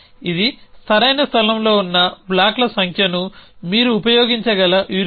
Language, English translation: Telugu, This is a heuristic you can use you have number of blocks which are in the correct place